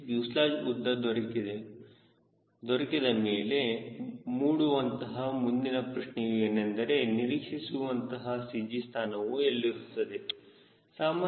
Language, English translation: Kannada, next question comes out of this fuselage length: where will be the expected cg